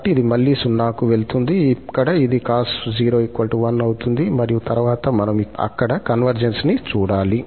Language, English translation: Telugu, So, this will again go to 0, here this will become cos 0 as 1 and then we have to see the convergence there